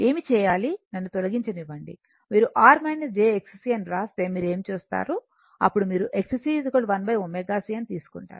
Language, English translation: Telugu, What we do let me delete it, what you do if you write R minus j X c, then you will take X c is equal to 1 upon omega c right